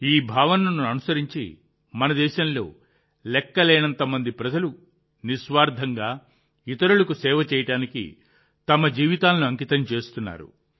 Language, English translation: Telugu, Following this sentiment, countless people in our country dedicate their lives to serving others selflessly